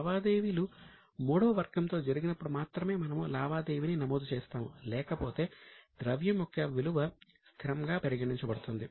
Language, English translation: Telugu, We record the transaction only when some transactions happens with third party, otherwise the value of currency is considered to be constant